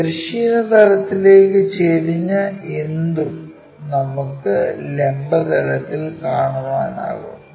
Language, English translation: Malayalam, Anything inclined to horizontal plane we can be in a position to see it in the vertical plane